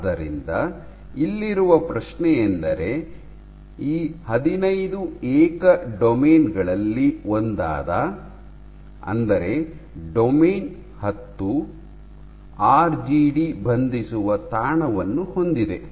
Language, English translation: Kannada, So, the question here is and of these 15 individual domains one of these so, domain 10 contains the RGD binding site